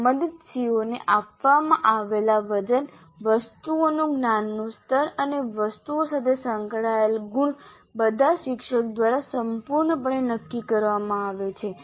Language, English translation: Gujarati, The weight is given to the concerned COs, the cognitive levels of items and the marks associated with items are completely decided by the teacher